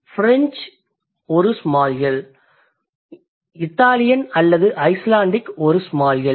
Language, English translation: Tamil, Italian is a small L or Icelandic is a small L